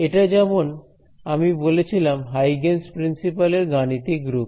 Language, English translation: Bengali, This as I mentioned was is also known as the mathematical form of Huygens principle